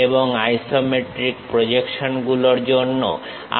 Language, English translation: Bengali, And for isometric projections, what we have to do